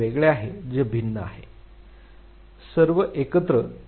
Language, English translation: Marathi, This is a different that is a different all together